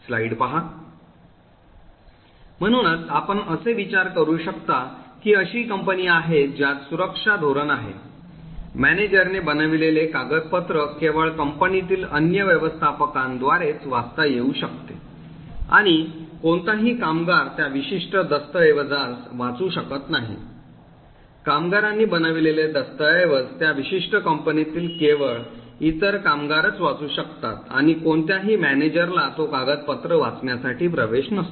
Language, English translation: Marathi, So this is something you can think about is assume that there is a company which has the following security policy, a document made by a manager can be only read by other managers in the company and no worker should be able to read that particular document, document made by a worker can be only read by other workers in that particular company and no manager should have any access to read that particular document